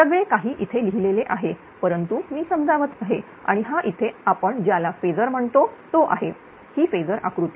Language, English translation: Marathi, All the right of it is here but I am explaining that right and this is your what you call that your that is your phasor; this phasor diagram